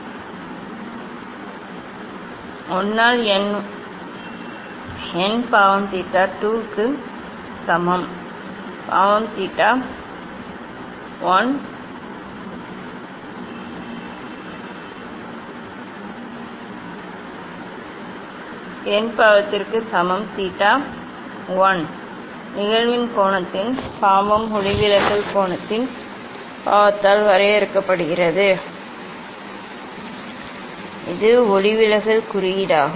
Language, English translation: Tamil, 1 by n equal to sin theta 2 by sin theta 1; n equal to sin theta 1 sin of angle of incidence divided by sin of angle of refraction that is the refractive index